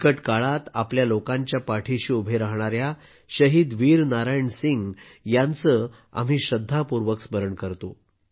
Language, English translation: Marathi, We remember Shaheed Veer Narayan Singh with full reverence, who stood by his people in difficult circumstances